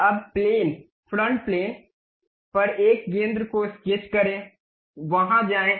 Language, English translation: Hindi, Now, sketch a centre on a plane front plane, go there